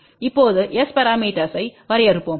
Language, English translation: Tamil, Now, we will define the S parameter